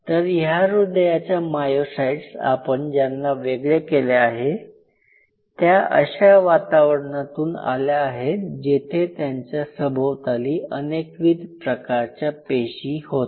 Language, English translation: Marathi, So, these cardiac myocytes what you have isolated are coming from a not I mean it comes from we more than several surrounding cell